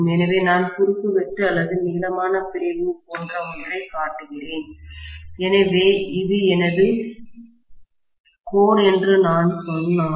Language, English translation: Tamil, So, I am showing something like the cross section or longitudinal section, are you get my point